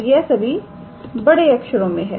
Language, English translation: Hindi, So, these are all capitals, alright